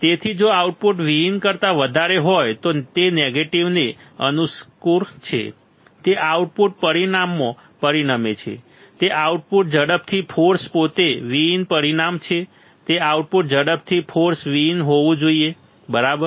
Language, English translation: Gujarati, So, if output is greater than V in it suits negative, it results in output result is that output quickly force is itself to be exactly V in result is that output quickly force is to be exactly V in very easy, right